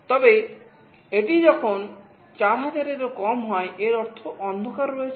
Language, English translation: Bengali, But when it falls less than 4000, it means that there is darkness